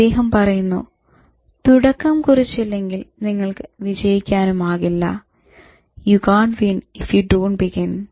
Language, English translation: Malayalam, He says that you can't win if you don't begin